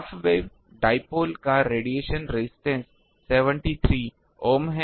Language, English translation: Hindi, Radiation resistance of a half way of dipole is 73 ohm